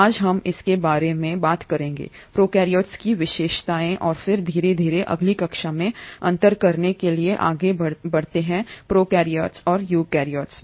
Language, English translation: Hindi, Today we will talk about the features of prokaryotes and then slowly move on in the next class to the differences between prokaryotes and eukaryotes